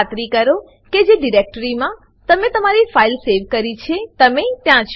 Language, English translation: Gujarati, Make sure that you are in the directory in which you have saved your file